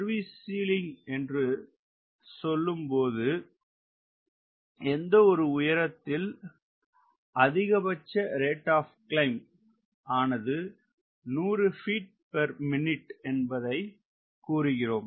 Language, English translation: Tamil, when you say service ceiling, we say it is that altitude at which the rate of climb maximum is r o c, maximum is hundred feet per minute